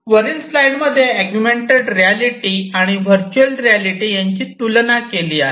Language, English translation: Marathi, So, this is how these technologies compare augmented reality and virtual reality